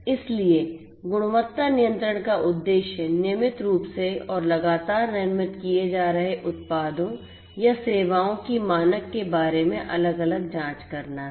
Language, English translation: Hindi, So, the objective in quality control is to routinely and consistently make different checks about the standard of the products that are being manufactured or the services that are being offered